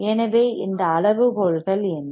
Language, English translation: Tamil, So, what are those criterias